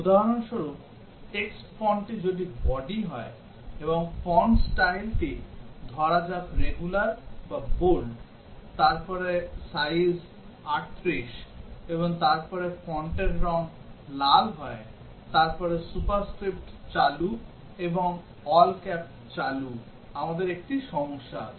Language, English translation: Bengali, For example, if the text font is body, and the font style is let say regular or bold, and then size is 38, and then font colour is red, and then superscript is switched on and all caps switched on, we have a problem